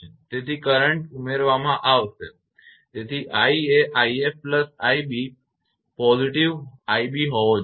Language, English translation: Gujarati, So, current will be added so i should be is equal to i f plus i b, i b positive